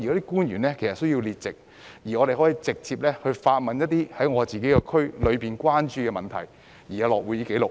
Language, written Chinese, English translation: Cantonese, 官員需要列席會議，讓區議員可以就區內關注的問題直接提問，而且會有會議紀錄。, Government officials have to attend the meetings to allow DC members to directly put questions about issues of concern in the district to them . There will also be minutes of meeting